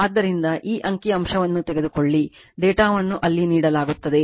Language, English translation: Kannada, So, this is the figure you take this figure and data are given there right